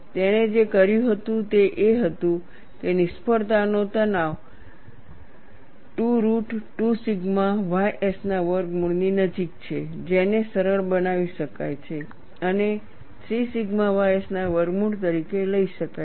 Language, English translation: Gujarati, Irwin made estimate, what you have done was the failure stress is closer to square root of 2 root 2 sigma ys, which could be simplified and taken as square root of 3 sigma ys